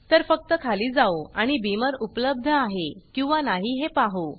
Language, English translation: Marathi, So lets just go down and see whether Beamer is available